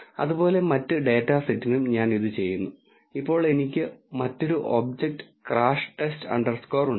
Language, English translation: Malayalam, Similarly I do it for the other data set as well and now I have another object crash test underscore one underscore test